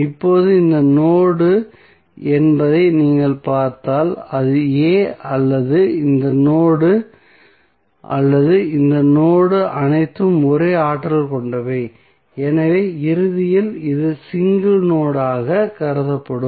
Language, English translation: Tamil, Now, if you see this node whether this is a or this node or this node all are act same potentials so eventually this will be considered as a single node